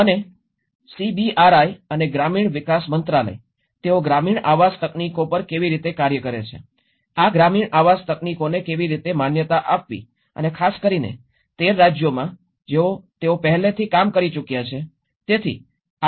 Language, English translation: Gujarati, And the CBRIs and the ministry of rural development, how they work on the rural housing technologies, how to validate these rural housing technologies and especially, in the 13 states, which they have already worked on